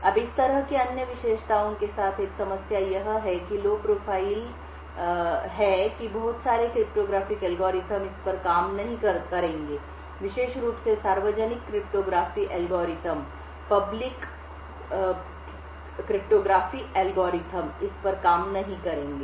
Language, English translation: Hindi, Now a problem with having such other characteristics, low profile is that a lot of cryptographic algorithms will not work on this, especially the public cryptography algorithms will not work on this